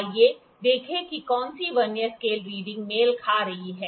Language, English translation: Hindi, Let us see which Vernier scale reading is coinciding